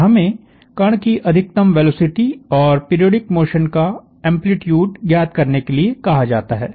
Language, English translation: Hindi, And we are asked to find the maximum velocity of the particle, and the amplitude of the periodic motion